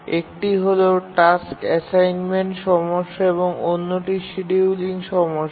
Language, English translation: Bengali, One is task assignment problem, the other is the scheduling problem